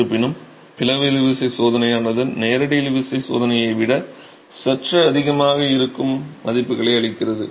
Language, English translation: Tamil, However, the split tension test give values that are slightly higher than the direct tension test